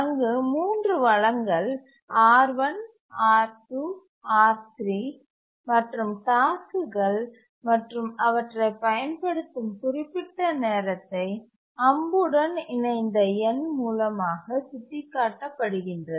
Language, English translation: Tamil, There are three resources, R1, R2 and R3, and the tasks that use the resource for certain time is indicated by the number along the arrow